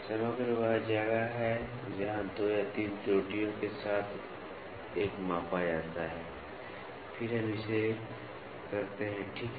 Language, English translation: Hindi, Composite is where 2 or 3 errors are measured together and then we do it, ok